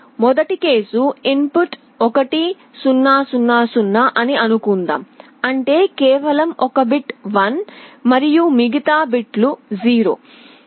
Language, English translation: Telugu, The first case let us assume that the input is 1 0 0 0; that means, just one bit is 1 and the all other bits are 0